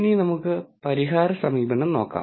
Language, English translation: Malayalam, Now, let us look into the solution approach